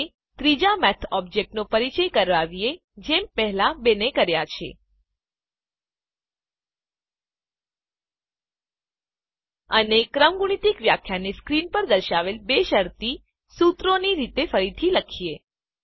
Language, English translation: Gujarati, Now, let us introduce a third Math object just like the first two and rewrite the factorial definition as two conditional formulae as shown on the screen